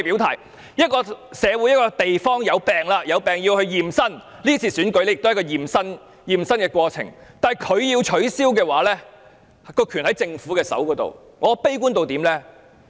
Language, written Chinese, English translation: Cantonese, 當一個社會或一個地方生病，便需要驗身，這次選舉便是一次驗身的過程，但如果要取消，權力便在政府手上。, When a society or place has fallen sick it needs to undergo a medical check - up . This election is precisely a medical check - up . But even so the Government is still vested with the power to cancel the election